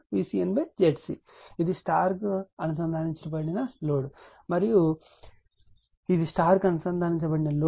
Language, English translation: Telugu, And this is star connected, load and this is star connected load